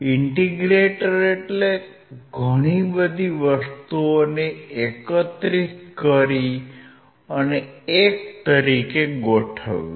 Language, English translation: Gujarati, Integrator means it will integrate a lot of things in one